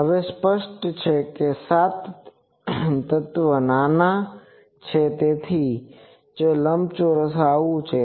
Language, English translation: Gujarati, Now obviously, seven element is small that is why rectangular is a like this